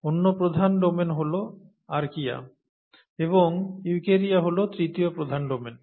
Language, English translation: Bengali, The other major domain is archaea, and eukarya, is the other, the third major domain